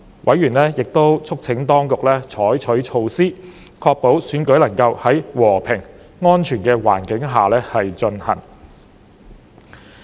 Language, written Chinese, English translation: Cantonese, 委員亦促請當局採取措施，確保選舉能夠在和平安全的環境下進行。, Members also urged the authorities to adopt measures to ensure that the election could be conducted in a peaceful and safe environment